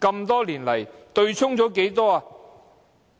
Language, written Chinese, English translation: Cantonese, 多年來，對沖了多少金額呢？, How much money has been offset over the years?